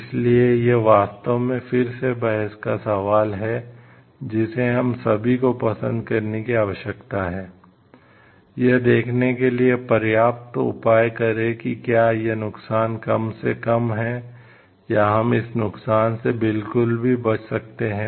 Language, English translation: Hindi, So, can we really to that is again a question of debate all we need to like, take measures enough to see that this harm is minimized, or can we avoid this harm at all